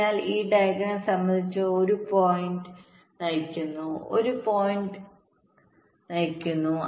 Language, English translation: Malayalam, so, with respect to this diagram, maybe one point is driving this point, one point is driving this